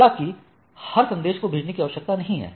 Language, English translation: Hindi, However, it is not required to send for every message